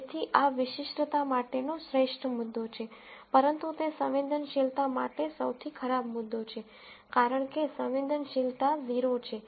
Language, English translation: Gujarati, So, this is best point for specificity, but it is the worst point for sensitivity, because sensitivity is 0